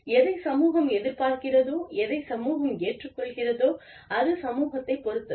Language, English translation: Tamil, What the society expects, what the society accepts, is up to the society